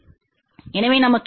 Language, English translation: Tamil, So, what do we get